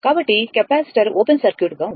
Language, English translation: Telugu, So, capacitor was at open circuited